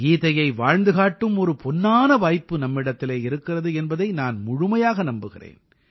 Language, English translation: Tamil, I do believe we possess this golden opportunity to embody, live the Gita